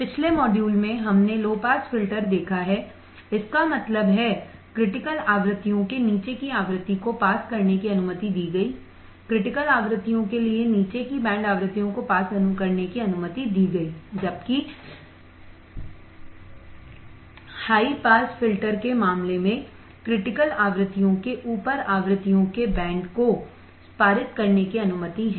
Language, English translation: Hindi, In the last module, we have seen low pass filter; that means, the frequency below critical frequencies were allowed to pass right, band frequencies below for critical frequencies were allowed to pass while in case of high pass filter the band of frequencies above critical frequencies are allowed to pass